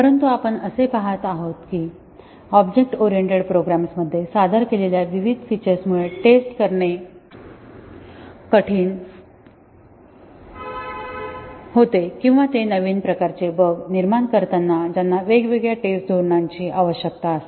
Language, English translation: Marathi, But we were seeing that the different features introduced in object oriented programs actually make testing either difficult, or they cause new types of bugs requiring different testing strategies